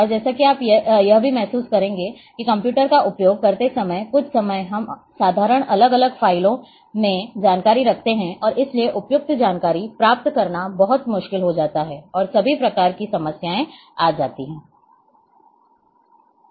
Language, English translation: Hindi, And a as a you will also realize that while using computers sometime we keep information in simple separate files and therefore, it becomes very difficult to retrieve appropriate information and all kinds of problem will come